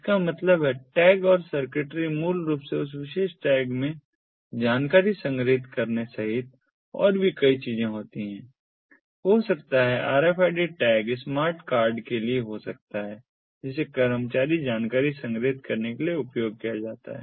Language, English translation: Hindi, that means outside the tag and the circuitry basically does number of things, including storing the information in that particular tag may be the rfid tag could be for a smart card that can be used for storing employee information